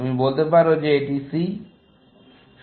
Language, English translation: Bengali, You could say that it is C